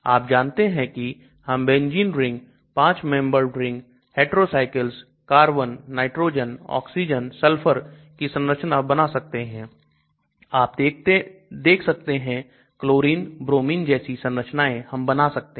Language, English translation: Hindi, You know I can draw benzene rings, 5 membered ring, heterocycles, carbon, nitrogen, oxygen, sulfur, different as you can see chlorine, bromine, like that I can draw